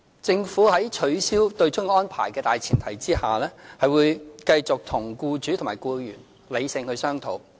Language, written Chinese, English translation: Cantonese, 政府會在取消對沖安排的大前提下，繼續與僱主和僱員理性商討。, On the premise of abolishing the offsetting arrangement the Government will continue to engage employers and employees in rational discussions